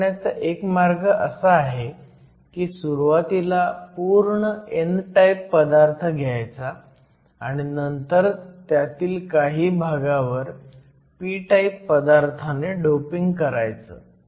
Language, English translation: Marathi, One way to form a junction is to start with the material that is completely n type and then dope a certain region of the material p type